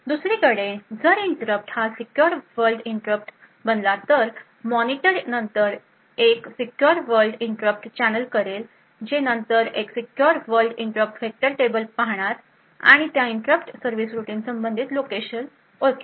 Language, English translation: Marathi, On the other hand if the interrupt happened to be a secure world interrupt the monitor would then channel that secure world interrupt which would then look at a secure world interrupt vector table and identify the corresponding location for that interrupt service routine